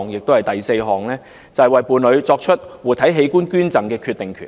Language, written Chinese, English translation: Cantonese, 第四，為伴侶作出活體器官捐贈的決定權。, Fourth making decisions on living donation for their partners